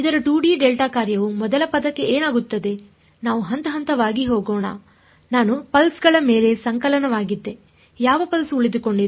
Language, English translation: Kannada, Its a 2D delta function what happens to the first term let us go step by step I was summation over N pulses which pulse survives